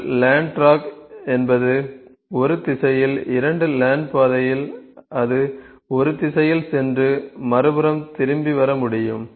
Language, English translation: Tamil, Two lane track is one lane track is will only one direction, two lane track is it can go in one direction and come back from the other side